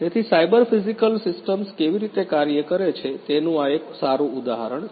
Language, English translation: Gujarati, So, this is a this is a good example of how cyber physical systems work